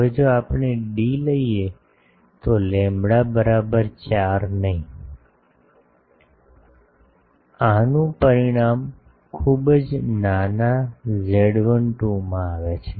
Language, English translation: Gujarati, Now if we take d is equal to lambda not by 4, this results in very small z 12 become small